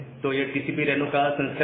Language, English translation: Hindi, So, this is the variant of the TCP Reno